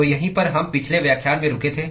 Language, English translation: Hindi, So, that is where we stopped in the last lecture